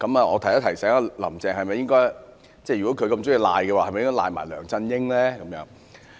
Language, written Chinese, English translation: Cantonese, 我想提醒"林鄭"，如果她這麼喜歡諉過於人，是否也應諉過梁振英呢？, I wish to remind Carrie LAM that if she is eager to shift the blame she should shift the blame to LEUNG Chun - ying should she not?